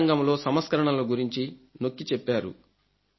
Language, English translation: Telugu, They have emphasized on reforms in the educational set ups